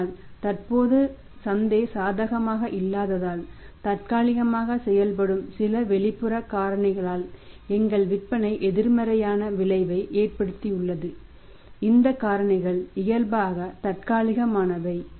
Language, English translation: Tamil, But since currently because the market is no not favourable situation is not favourable and have our sales have been negative effect by some external factors which are temporarily done at which are temporary these factors are temporary nature